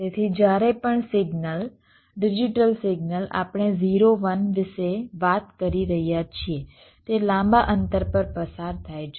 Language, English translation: Gujarati, so whenever a signal, a digital signal we are talking about zero one it traverses over long distance